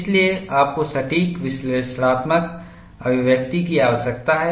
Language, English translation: Hindi, So, you need to have accurate analytical expression